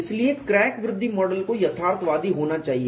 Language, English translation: Hindi, So, the crack growth model has to be realistic